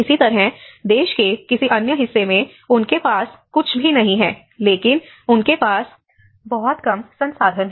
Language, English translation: Hindi, Similarly, in some other part of the country, they do not have anything, but they have very less resources